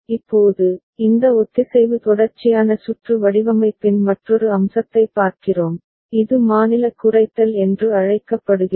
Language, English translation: Tamil, Now, we look at another aspect of this synchronous sequential circuit design which is called state minimization